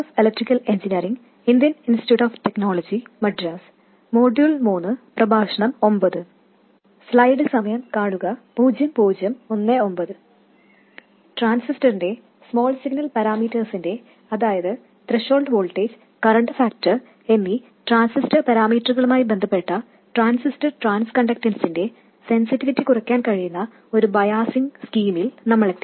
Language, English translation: Malayalam, We now have come up with a biasing scheme that promised us to reduce the sensitivity of transistor small signal parameters, the transistor transconductance, with respect to the parameters of the transistor such as the threshold voltage and current factor